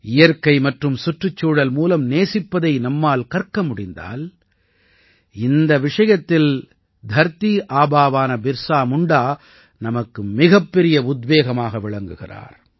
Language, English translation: Tamil, If we have to learn to love nature and the environment, then for that too, Dharati Aaba Bhagwan Birsa Munda is one of our greatest inspirations